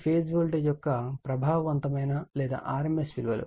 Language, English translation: Telugu, V p is effective or rms value of the phase voltage